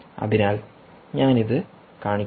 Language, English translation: Malayalam, ok, so so i will show this